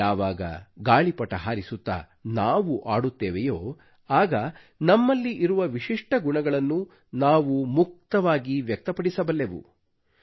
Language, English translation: Kannada, While flying a kite or playing a game, one freely expresses one's inherent unique qualities